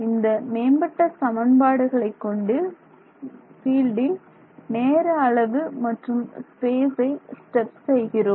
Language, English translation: Tamil, It is using these update equations to time step the fields and space step the fields